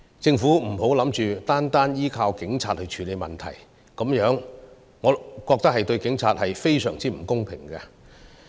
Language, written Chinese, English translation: Cantonese, 政府不要打算單靠警察去處理問題，我認為這對警察非常不公平。, The Government should not rely on the Police Force to solve all the problems alone . This is in my opinion unfair to the Police